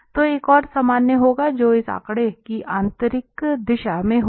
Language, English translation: Hindi, So, there will be another normal which will be in the inner direction of this figure